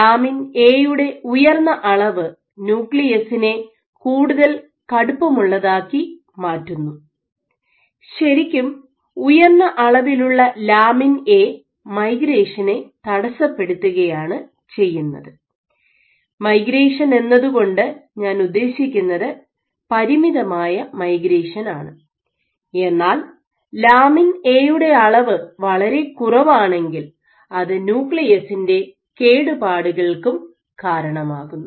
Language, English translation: Malayalam, So, since high levels of A lead to stiffer nucleus, so high levels of A actually impede migration by migration I mean confined migration, but if you have A too low then you might have damage to the nucleus so in the next two lectures including today